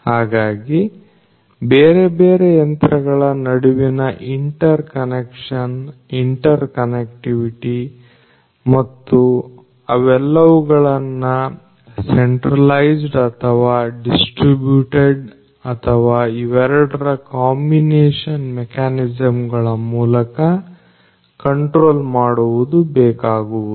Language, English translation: Kannada, So, interconnection interconnectivity between these different machines and having all of them controlled through either centralized or a distributed mechanism or, or a combination of both is what is required